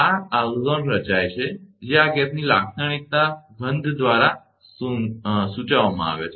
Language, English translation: Gujarati, This ozone will be formed as is indicated by the characteristic odour of this gas